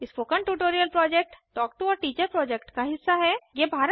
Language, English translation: Hindi, The Spoken Tutorial Project is a part of the Talk to a Teacher project